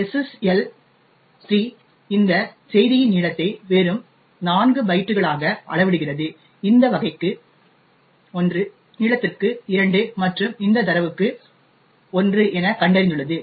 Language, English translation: Tamil, Now, the SSL 3 measures the length of this message as just 4 bytes, 1 for this type, 2 for length and 1 for this data which it has found